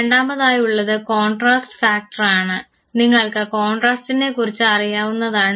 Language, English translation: Malayalam, The second is the contrast factor, contrasts you understand